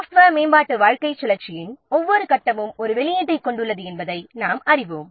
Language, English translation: Tamil, As you know that every phase of software development lifecycle is having an output